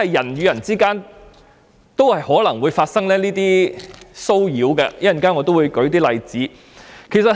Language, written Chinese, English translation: Cantonese, 人與人之間也有可能出現騷擾的情況，我稍後會再列舉一些例子。, Harassment may occur between any human beings and I will give more examples later